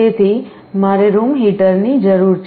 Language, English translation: Gujarati, So, I need a room heater